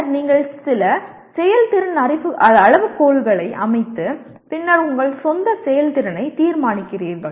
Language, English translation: Tamil, And then you set some performance criteria and then you judge your own performance